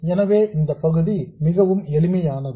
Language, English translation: Tamil, So this part is very easy